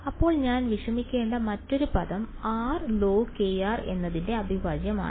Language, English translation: Malayalam, Then the other term that I have to worry about is integral of r log k r ok